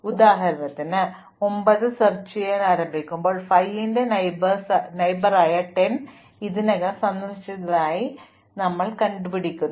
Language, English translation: Malayalam, For instance, since 10 is already visited as a neighbor of 5 when we start exploring 9 we do not use the edge 9, 10